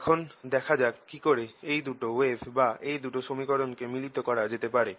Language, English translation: Bengali, let us see how we can combine these two waves, these two equations